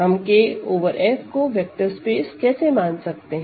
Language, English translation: Hindi, Let K over F be a field extension